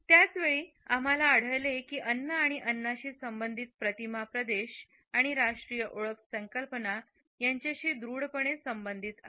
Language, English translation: Marathi, At the same time we find that food and food related images are strongly related to our concept of territory and national identity